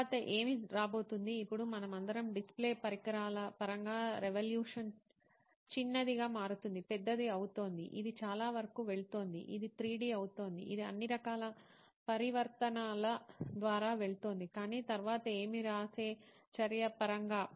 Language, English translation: Telugu, Then what is next coming up next, is it so now we have all seen revolution in terms of display devices is getting smaller, is getting bigger, it is going through lots of, it is getting 3D, it is going through all sorts of transformation, but in terms of the act of writing what is next